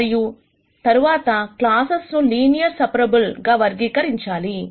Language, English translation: Telugu, And then classifying classes that are linearly separable